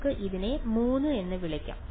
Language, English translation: Malayalam, So, let us call this 3